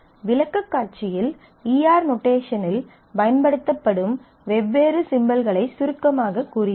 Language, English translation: Tamil, And before I close in the presentation I have summarized the different symbols that are used in the E R notation